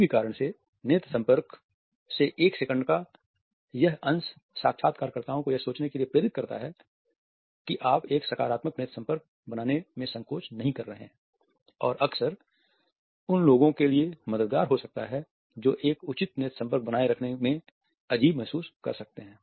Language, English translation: Hindi, For whatever reason this fraction of seconds of eye contact allows a person to think that you are not hesitant in making a positive eye contact and often it helps those people who feel awkward in maintaining a proper eye contact